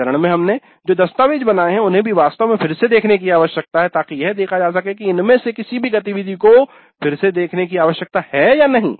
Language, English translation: Hindi, The documents that we have created in this phase also need to be really looked at again to see if any of these activities need to be revisited